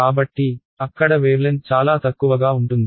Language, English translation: Telugu, So, there the wavelength is much smaller